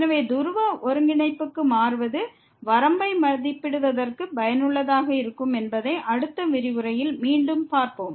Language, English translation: Tamil, So, one again we will see more in the next lecture that changing to the Polar coordinate is helpful for evaluating the limit